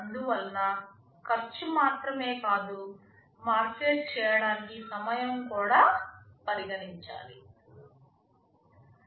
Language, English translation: Telugu, Thus not only the cost, but also the time to market